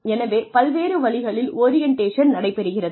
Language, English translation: Tamil, So, various ways in which orientation takes place